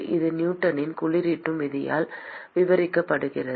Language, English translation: Tamil, It is described by Newton’s law of cooling